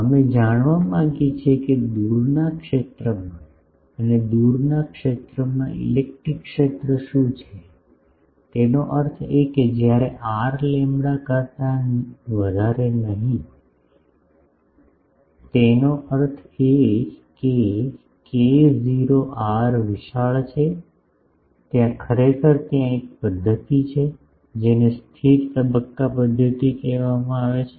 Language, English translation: Gujarati, We want to know what is the electric field in the far zone and in the far zone; that means, when r is much much greater than lambda not; that means, k not r is large, there actually, there is a method, which is called stationary phase method